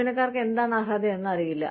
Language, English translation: Malayalam, Employees, do not know, what they are entitled to